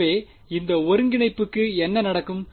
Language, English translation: Tamil, So, what will happen to this integral